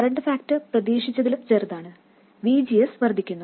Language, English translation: Malayalam, If the current factor is smaller than expected, VGS increases